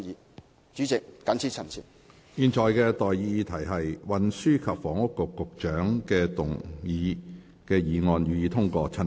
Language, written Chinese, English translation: Cantonese, 我現在向各位提出的待議議題是：運輸及房屋局局長動議的議案，予以通過。, I now propose the question to you and that is That the motion moved by the Secretary for Transport and Housing be passed